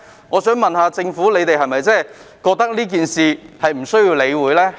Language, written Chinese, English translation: Cantonese, 我想問政府是否認為這事宜不需要理會？, May I ask the Government whether it considers that this matter does not need to be taken care of?